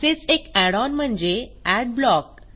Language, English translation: Marathi, One such add on is Adblock